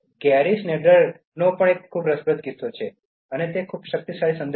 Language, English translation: Gujarati, The next one from Gary Snyder is also very interesting and is with a very powerful message